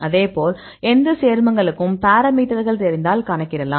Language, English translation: Tamil, Likewise you can see any parameters; if you know the compound, you can calculate